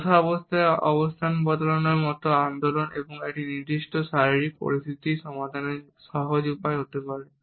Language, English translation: Bengali, Movement such as shifting position when seated, may be simply way of resolving a specific physical situation